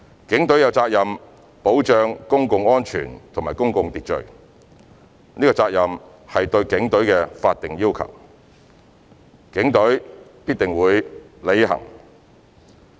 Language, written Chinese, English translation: Cantonese, 警隊有責任保障公共安全及公共秩序，這責任是對警隊的法定要求，警隊必須履行。, The Police have a duty to safeguard public safety and public order . This duty is a statutory one which the Police must discharge